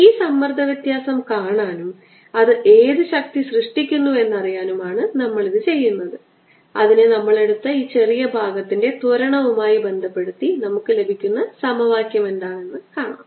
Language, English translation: Malayalam, what we want a to do is see this pressure difference, what force does it create, relate that to the acceleration of this small portion that we have taken and see what the, what is the equation that we get